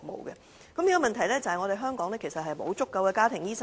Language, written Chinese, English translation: Cantonese, 現在的問題是，香港沒有足夠的家庭醫生。, The problem facing Hong Kong is that it does not have an adequate supply of family doctors